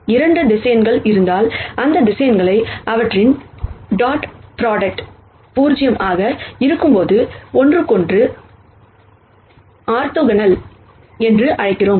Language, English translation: Tamil, If there are 2 vectors, we call these vectors as orthogonal to each other when their dot product is 0